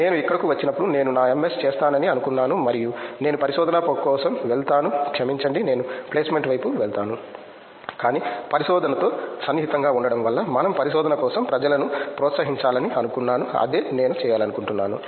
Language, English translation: Telugu, When I came here I thought I will do my MS and I will go for research sorry I will go for placement, but being touch with research I thought we should encourage people for research also that is what I wanted to do